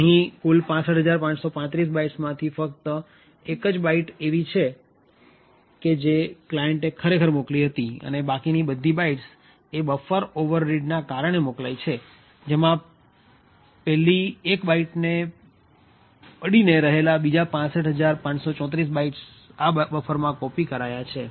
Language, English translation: Gujarati, So, out of these 65535 bytes there is only one byte which contains what the client had actually sent and the remaining bytes is due to a buffer overread where 65534 byte adjacent to that one byte is copied into the buffer